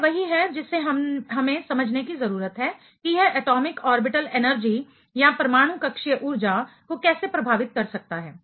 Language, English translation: Hindi, This is what we need to simply understand, how it can affect the atomic orbital energy